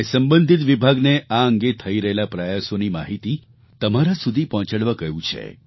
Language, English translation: Gujarati, I have instructed the concerned department to convey to you efforts being made in this direction